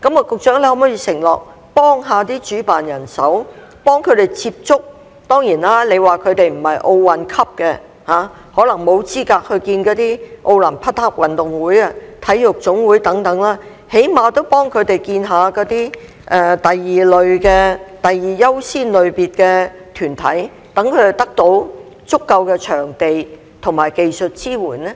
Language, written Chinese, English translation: Cantonese, 局長可否承諾幫助主辦人接觸......當然，你說他們不是奧運級，可能沒有資格見那些奧林匹克委員會、體育總會等，但最低限度幫助他們見第二優先類別的團體，讓他們得到足夠的場地及技術支援呢？, Could the Secretary undertake to help the organizer contact of course you said that they are not at the Olympic level so they may not be eligible to meet with the Olympic Committee and NSAs etc but at least you should help them meet with organizations belonging to the second priority category so that they can get sufficient venue and technical support?